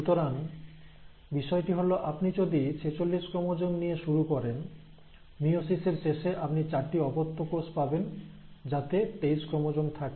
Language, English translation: Bengali, So the idea is, if you start with forty six chromosomes by the end of meiosis, you will have daughter cells, you will have four daughter cells with each daughter cell containing twenty three chromosomes